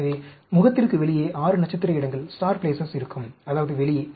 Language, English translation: Tamil, So, there will be 6 star places which are outside the face; that means, outside